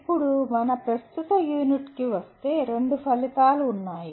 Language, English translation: Telugu, Now coming to our present unit, there are two outcomes